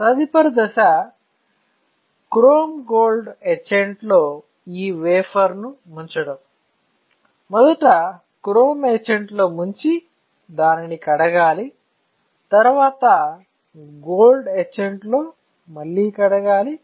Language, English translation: Telugu, After this the next step would be to dip this wafer in chrome etchant; when you dip this wafer in, there is a chrome gold